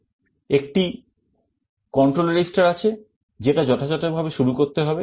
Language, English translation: Bengali, And there is a control register that has to be initialized appropriately